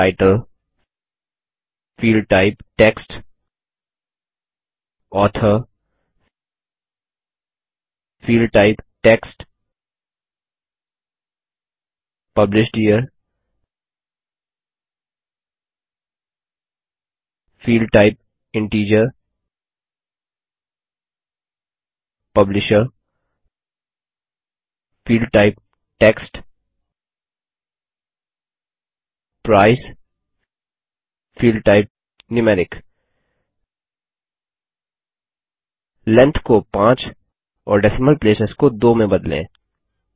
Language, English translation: Hindi, Title, Field type Text, Author Field type Text, Published Year Field type Integer Publisher Field type Text Price Field type Numeric Change the Length to 5 and Decimal places to 2